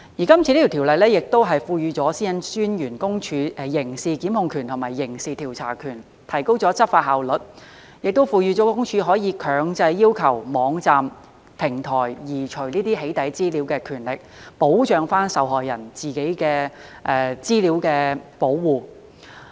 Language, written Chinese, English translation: Cantonese, 今次的《條例草案》亦賦予私隱公署刑事檢控權和刑事調查權，提高執法效率，亦賦予私隱公署可以強制要求網站、平台移除"起底"資料的權力，保障受害人在個人資料方面的保護。, The Bill also confers criminal prosecution and criminal investigation powers upon PCPD as a means to enhance law enforcement efficiency . It also seeks to empower PCPD to require websites or online platforms to remove doxxing information so as to enhance the protection of victims personal data